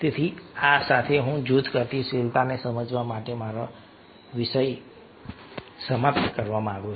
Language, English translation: Gujarati, so with these i would like to finish my topic on understanding group dynamics